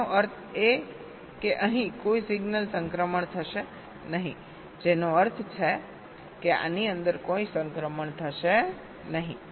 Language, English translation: Gujarati, disabling these means there will be no signal transitions occurring here, which means no transitions will be occurring inside this